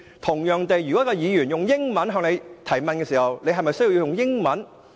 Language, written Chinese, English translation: Cantonese, 同樣地，如果一位議員以英語向你提問，你是否需要以英語回應？, Likewise if a Member puts a question to you in English is it necessary for you to respond in English?